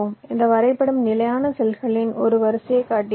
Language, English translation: Tamil, this diagram shows one row of this standard cell cells